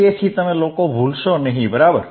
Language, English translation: Gujarati, So, that you guys do not forget, right